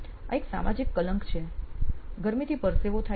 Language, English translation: Gujarati, This is a social stigma, heat causes perspiration